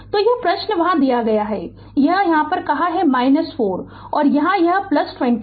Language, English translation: Hindi, So, this question is given there where it is minus 4 and here it is plus 24